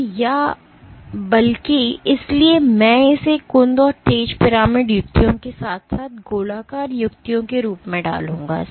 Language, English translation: Hindi, So, or rather, so I will put it as blunt and sharp pyramidal tips as well as spherical tips